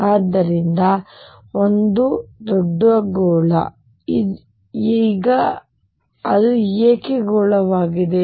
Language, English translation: Kannada, So, this is a huge sphere, now why is it is sphere